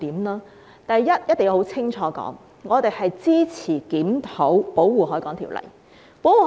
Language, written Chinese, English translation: Cantonese, 首先，我們一定要清楚說明，我們支持檢討《保護海港條例》。, First we must state clearly that we support reviewing the Protection of the Harbour Ordinance